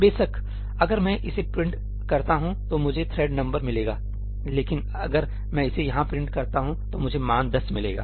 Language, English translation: Hindi, Of course, if I print it over here I will get the thread number, but if I print it over here I will get the value 10